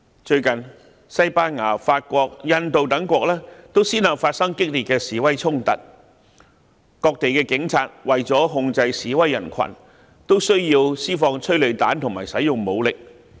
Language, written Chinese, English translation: Cantonese, 最近，西班牙、法國、印度等國都先後發生激烈的示威衝突，各地的警察為了控制示威人群，都需要施放催淚彈及使用武力。, Recently serious protest clashes have occurred one after another in countries such as Spain France and India . The local police officers have used tear gas rounds and force to control the crowds of protesters